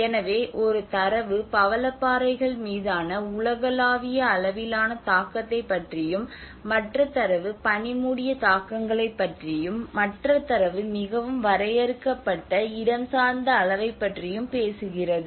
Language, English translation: Tamil, So one data is talking about a global level impact on the coral reefs, and the other data talks about the snow cover impacts, and the other data talks about very limited to a spatial scale maybe the affected area